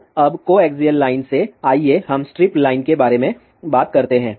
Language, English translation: Hindi, So, now from the coaxial line, let us talk about strip line